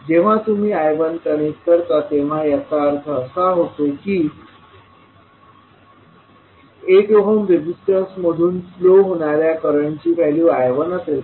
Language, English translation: Marathi, So when you connect I 1 it means that the value of current flowing through 8 ohm resistance will be I 1